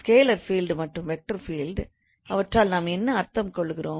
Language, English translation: Tamil, So, scalar field and vector field